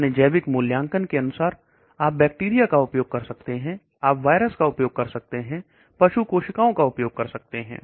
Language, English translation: Hindi, That is where you check the biological activity of your compound, you may use bacteria, you may use virus, you may use animal cells whatever is your biological assessment